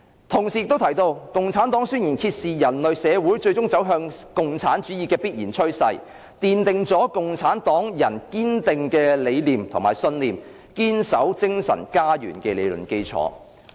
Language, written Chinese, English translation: Cantonese, "同時，他亦提到："《共產黨宣言》揭示的人類社會最終走向共產主義的必然趨勢，奠定了共產黨人堅定理想信念、堅守精神家園的理論基礎。, He also said that The Communist Manifesto has revealed the inevitable development of human societies towards communism and laid a foundation for the firm belief of the communists to adhere to their ideals and convictions